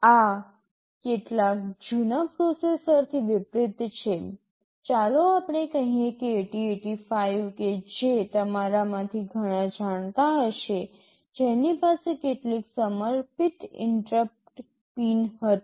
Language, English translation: Gujarati, This is unlike some older processors; let us say 8085 which many of you may be knowing, which had some dedicated interrupt pins